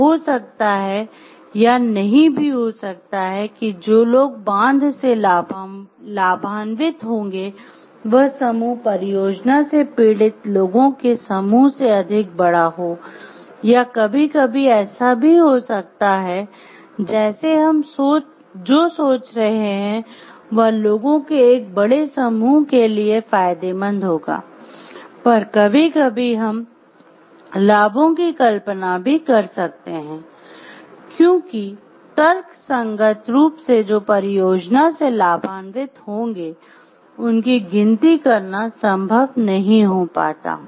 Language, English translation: Hindi, So, it may or may not be the case, the group of people who will get benefitted by the dam is more than the group of people who are suffering for the project and it sometimes may also be the case like what we are thinking like will be beneficial to a larger group of people, sometimes could be imagine the benefits also because we may or may not, it may or may not be possible for us to take a rational count of all people who will get benefited by the project